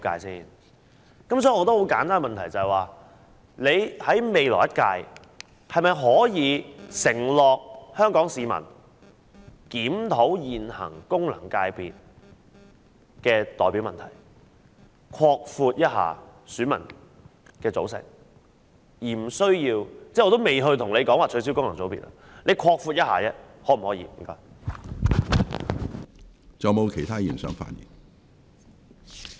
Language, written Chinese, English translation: Cantonese, 所以，我有一個很簡單的問題，就是在未來一屆，政府可否向香港市民承諾會檢討現行功能界別的代表問題，擴闊選民的組成，我也不說取消功能界別了，只是問可否擴闊選民的組成？, Therefore I have only one simple question . Can the Government give an undertaking to the people of Hong Kong that it will review the representativeness of the existing FCs and broaden the composition of their electorates for the next term? . I am not talking about the abolition of FCs now